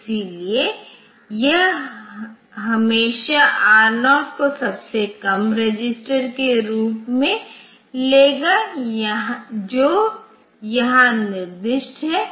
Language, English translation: Hindi, So, it will always take R0 as the lowest register that is specified here